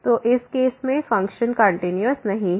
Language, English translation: Hindi, So, in this case the function is not continuous